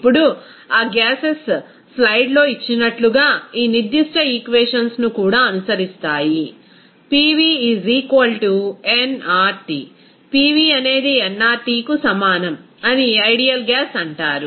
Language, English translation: Telugu, Now, those gases will and also follow these certain equation here, as given in the slide that PV is equal to nRT will be called as ideal gas